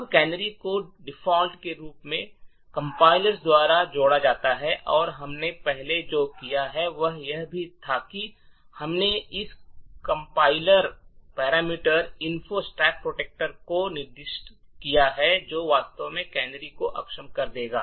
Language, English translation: Hindi, Now canaries is added by the compiler by default and what we have done previously was that we have specified this compiler parameter minus F no stack protector which would actually disable the canaries